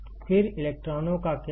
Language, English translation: Hindi, Then, what will happen to the electrons